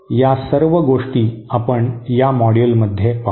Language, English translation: Marathi, So all those things we shall discuss in this module